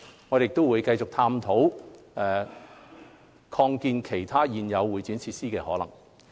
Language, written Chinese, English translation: Cantonese, 我們亦會繼續探討擴建其他現有會展設施的可能性。, We will also continue to explore the possibility of expanding other existing CE facilities